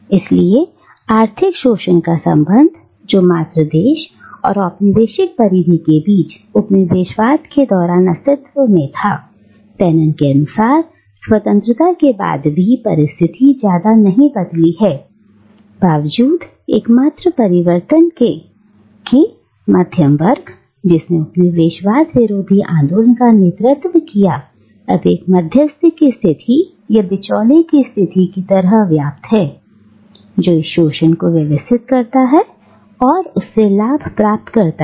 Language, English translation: Hindi, So, the relation of economic exploitation, which existed during colonialism between the mother country and the colonial periphery, continues, according to Fanon, even after independence with the only change being that the middle class, who led the anti colonial movement, now occupies an intermediary position, the position of the middleman, who channelizes and who sort of organises this exploitation and benefits from it